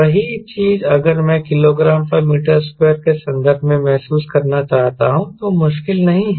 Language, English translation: Hindi, same thing if i want to get a feel in terms of k g per meter square is not difficult